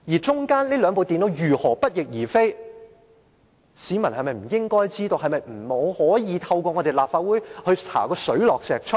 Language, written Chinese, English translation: Cantonese, 就着這兩部電腦如何不翼而飛，市民是否不應該知道，是否不可以透過立法會查個水落石出呢？, As for the question of how did these two computers vanish into thin air is it something that members of the public should not know or should not try to find out the truth through the Legislative Council?